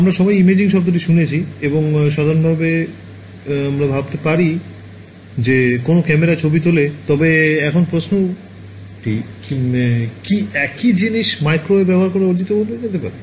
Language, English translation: Bengali, We have all heard the word imaging and usually we think of you know a camera taking photographs, but now the question is can the same thing sort of be achieved using microwaves